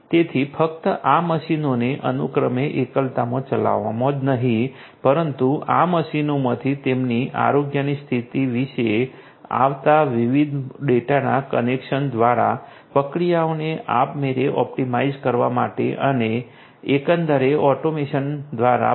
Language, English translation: Gujarati, So, not just not just having these machines run respectively in isolation, but also to optimize the processes you know automatically in you know through the connection of the different data that are coming from this machines about their health conditions and so on and also through the automation overall